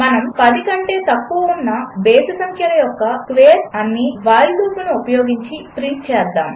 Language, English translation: Telugu, Let us print the squares of all the odd numbers less than 10, using the while loop